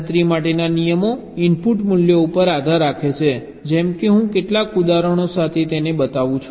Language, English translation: Gujarati, the rules for computation will depend on the input values, like i shall show with some examples